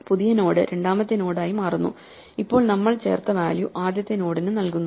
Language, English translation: Malayalam, So, the new node becomes the second node and the first node now has the value that we just added